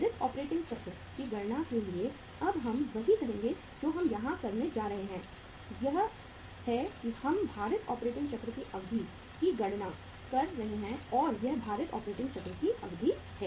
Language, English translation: Hindi, For calculating the weighted operating cycle we will now that is what we are going to do here is that we are calculating the duration of the weighted operating cycle and this is duration of weighted operating cycle